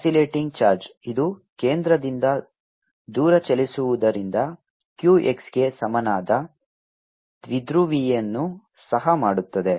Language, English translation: Kannada, oscillating charge, since this move away from the centre, also make a typo which is equal to q, x